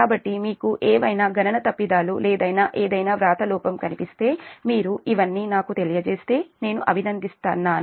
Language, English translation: Telugu, so if you find any calculation mistakes or any writing error, anything i will appreciate if you let me know all this